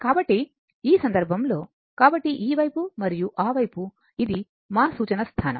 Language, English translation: Telugu, So, in this case, so this side and that side, this is your our reference position